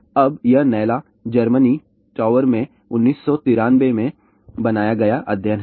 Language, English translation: Hindi, Now, this is the study in Naila Germany tower was built in 1993